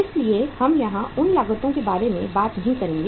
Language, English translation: Hindi, So we will not talk about those cost here